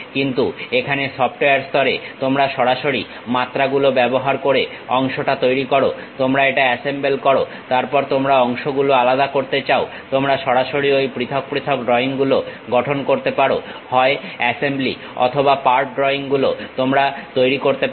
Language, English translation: Bengali, But here at the software level you straight away use dimensions create part, you assemble it, then you want to really separate the parts, you can straight away construct those individual drawings, either for assembly or for part drawings you can make